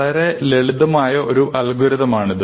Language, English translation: Malayalam, So, this is a simple algorithm